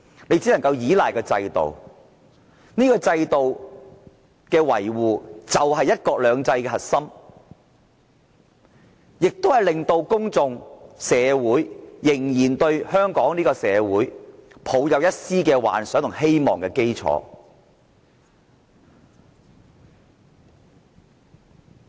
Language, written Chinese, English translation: Cantonese, 你只能夠依賴制度，維護這個制度，就是"一國兩制"的核心，亦是令到公眾、社會仍然對香港抱有一絲幻想和希望的基礎。, The only thing you can do is to rely on and uphold this system which is the core of one country one system and also the foundation that makes the public and society as well retain a glimpse of dream and hope on Hong Kong